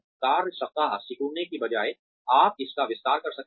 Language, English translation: Hindi, May be sort of, instead of shrinking the work week, you expand it